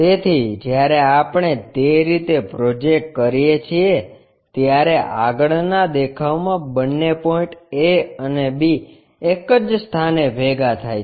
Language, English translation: Gujarati, So, when we are projecting in that way the front view both A B points coincides